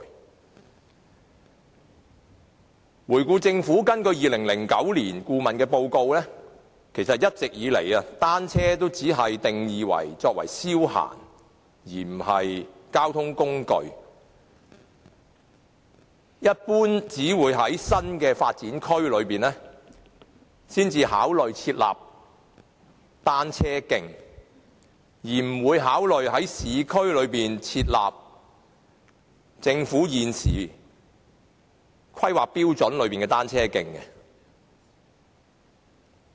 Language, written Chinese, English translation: Cantonese, 回顧以往，政府一直根據2009年顧問報告，只把單車定義為消閒工具而非交通工具，一般只會考慮在新發展區設立單車徑，而不會考慮按照政府現時的規劃標準，在市區設立單車徑。, In retrospect we find that all along the Government has merely defined bicycles as a means of leisure rather than a mode of transport in accordance with the consultancy report in 2009 . In general it will only consider building cycle tracks in new development areas and will not consider building them in the urban areas under the existing planning standards of the Government